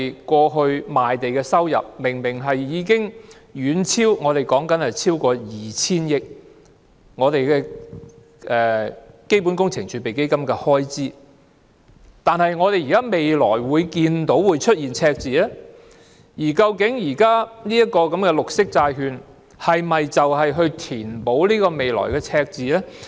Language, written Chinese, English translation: Cantonese, 過去賣地的收入明明已經遠超開支達 2,000 億元，為何基本工程儲備基金的開支未來竟會出現赤字，而當前的綠色債券又是否用以填補這個未來的赤字呢？, Revenue from land sales in the past has clearly far exceeded expenditure by 200 billion . Why will expenditure under CWRF entail a deficit in the future? . Will the present green bonds be used to make up for this future deficit?